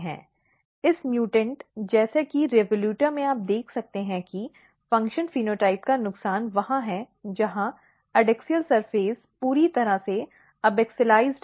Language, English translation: Hindi, So, if you have a mutant for example, if you have a mutant in revoluta what you can see that loss of function phenotype is totally where adaxial surface is totally abaxialized